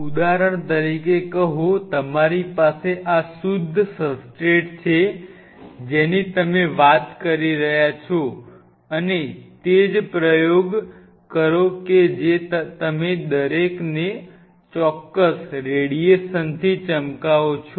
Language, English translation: Gujarati, Say for example, you have a, so these are pure substrates what you are talking about and exactly do the same experiment you shine each one of them with particular radiation